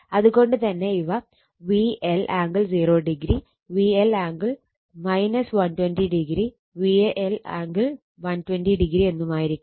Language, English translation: Malayalam, So, V L angle 0 degree, V L angle minus 120 degree V L angle 12[0]